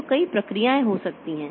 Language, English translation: Hindi, So, there may be several processes